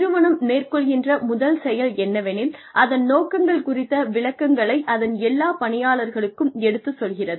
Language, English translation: Tamil, The first thing it does is that, it communicates a vision of its objectives, to all its employees